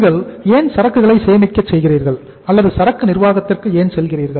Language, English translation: Tamil, Why you store the inventory or why you go for the inventory management